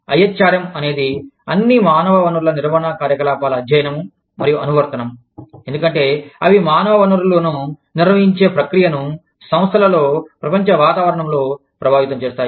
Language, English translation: Telugu, IHRM is the study and application of, all human resource management activities, as they impact the process of managing human resources, in enterprises, in the global environment